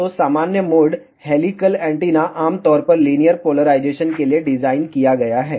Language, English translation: Hindi, So, normal mode helical antenna is generally designed for linear polarization